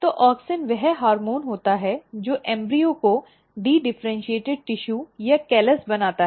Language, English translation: Hindi, So, auxin is the hormone which causes the embryo to make dedifferentiated tissue or the callus